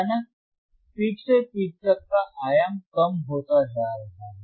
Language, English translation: Hindi, sSuddenly you see the peak to peak amplitude is getting decreased